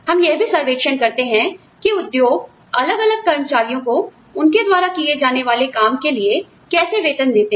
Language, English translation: Hindi, We survey, how the industry is paying different employees, for the kinds of work, they do